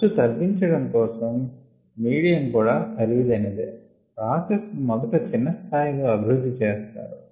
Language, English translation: Telugu, so to minimize cost involved even medium expensive the they are processes are developed first at small scale